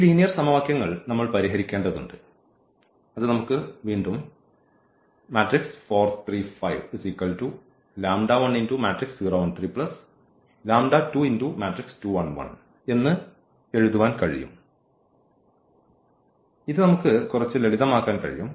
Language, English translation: Malayalam, And we have to solve this system of linear equations which we can write down like again we can simplify this little bit